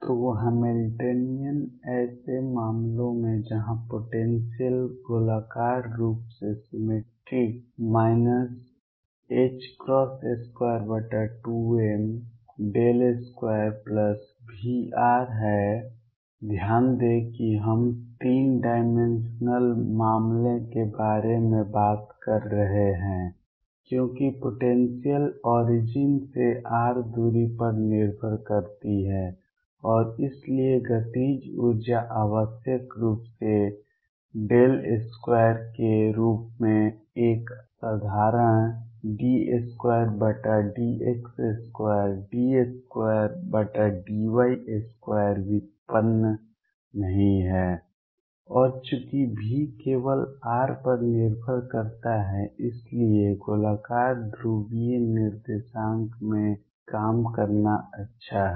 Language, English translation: Hindi, So, the Hamiltonian in such cases where the potential is spherically symmetric is minus h cross square over 2m, Laplacian plus V r notice that we are talking about a 3 dimensional case because the potential depends on r distance from the origin and therefore, the kinetic energy is necessarily as del square not a simple d 2 by d x square d 2 by d y square derivative and since V depends only on r it is good to work in spherical polar coordinates